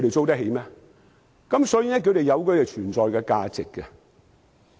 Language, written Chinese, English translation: Cantonese, 所以，那是有存在價值的。, Hence these buildings do have an existence value